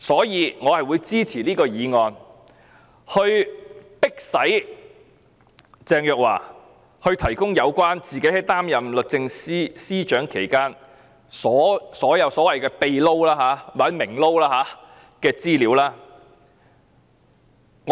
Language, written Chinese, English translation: Cantonese, 因此，我支持此項議案，要迫使鄭若驊提供有關她擔任律政司司長期間所有所謂"秘撈"或"明撈"的資料。, Therefore I support this motion to ask Teresa CHENG to provide information on all the so - called private jobs or public jobs during her tenure as the Secretary for Justice